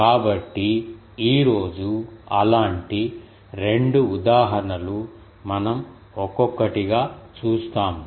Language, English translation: Telugu, So, the 2 such examples today we will see one by one